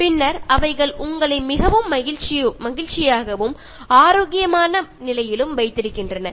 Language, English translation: Tamil, And then they will also keep you in a very happy and healthy condition